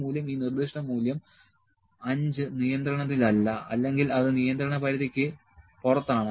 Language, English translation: Malayalam, And this value this specific value the value number 5 is not in control is out of control range